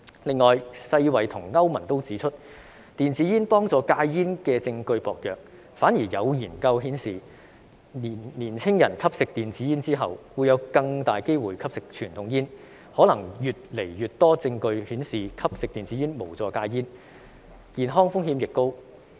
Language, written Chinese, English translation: Cantonese, 此外，世界衞生組織和歐洲聯盟均指出，電子煙幫助戒煙的證據薄弱，反而有研究顯示，年輕人吸食電子煙後會有更大機會吸食傳統煙，可能會有越來越多證據顯示吸食電子煙無助戒煙，健康風險亦高。, Moreover the World Health Organization WHO and the European Union have both pointed out that evidence about e - cigarettes can help people quit smoking is flimsy . On the contrary studies have shown that young people who smoke e - cigarettes are more likely to smoke conventional cigarettes and there may be increasing evidence showing that smoking e - cigarettes does not help people quit smoking and the health risks are also high